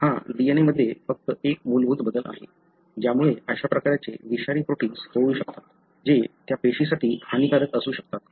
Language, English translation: Marathi, So, this is just one base change in the DNA, can lead to such kind of toxic form of protein, which could be detrimental for thatcell